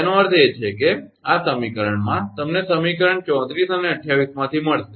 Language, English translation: Gujarati, That means in equation from equation 34 and 28, you will get